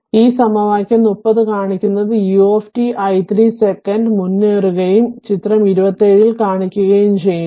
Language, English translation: Malayalam, So, this is equation 30 say so this equation 30 it indicates that u t is advanced by t 0 second and is shown in figure ah 27